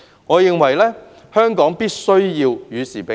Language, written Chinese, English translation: Cantonese, 我認為，香港必須與時並進。, In my view Hong Kong must progress with the times